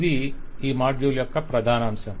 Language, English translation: Telugu, This will be the outline for this module